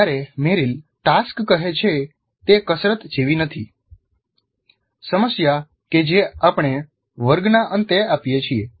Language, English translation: Gujarati, Now when Merrill says task it is not like an exercise problem that we give at the end of the class